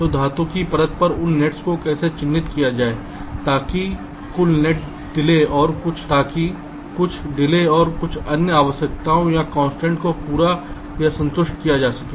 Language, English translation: Hindi, so how to layout those nets on the metal wires so that some delay and some other requirements are constraints, are met or satisfied